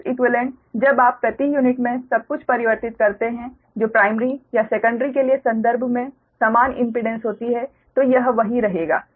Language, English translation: Hindi, when you convert everything in per unit, that equivalent impedance with refer to primary or secondary, it will remain same